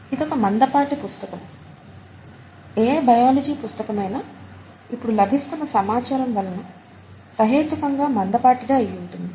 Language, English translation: Telugu, This is another thick book, and any biology book would be a reasonably thick book because of the information that is available now